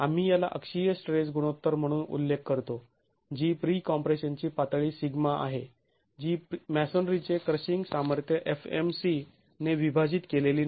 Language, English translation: Marathi, We refer to this as the axial stress ratio which is pre compression level sigma not divided by the axial compress the crushing strength of masonry fmc